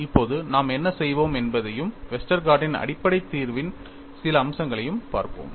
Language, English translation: Tamil, Now, what we will do is, we will also have a look at some aspects of the basic solution by Westergaard